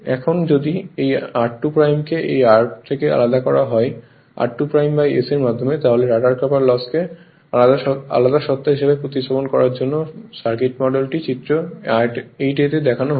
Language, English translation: Bengali, Now, if r 2 dash is separated from r 2 dash by s to replacing the rotor copper loss as a your separate entity the circuit model is shown in figure 8 a right